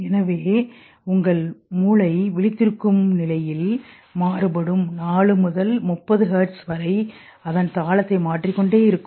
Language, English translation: Tamil, So your brain in awake stage when it varies from 4 to 30 hertz also keeps changing its rhythm